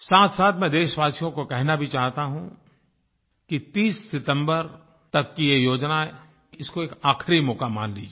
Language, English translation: Hindi, At the same time, I want to tell the people of the country that please consider this plan, which is up to 30th September as your last chance